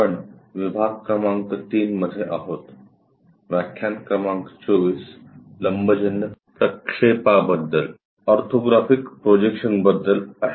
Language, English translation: Marathi, We are in module number 3, lecture number 24 on Orthographic Projections